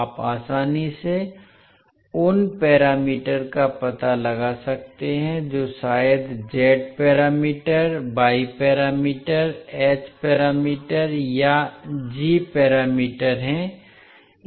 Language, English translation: Hindi, You can easily find out the parameters that maybe z parameters, y parameters, h parameters or g parameters